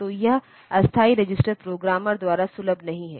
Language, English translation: Hindi, So, this temporary register is not accessible by the programmer